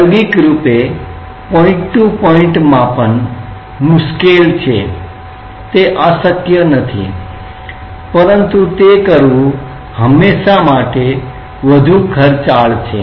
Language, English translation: Gujarati, Experimentally point to point measurement is difficult, it is not impossible, but it is it is always more expensive to do that